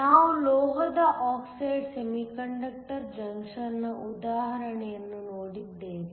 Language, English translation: Kannada, So, we saw the example of a metal oxide semiconductor junction